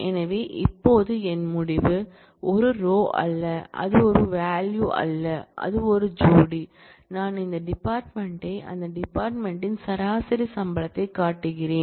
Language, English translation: Tamil, So, my result now, is not a single row, it is not a single value it is a pair where, I show the department and the average salary in that department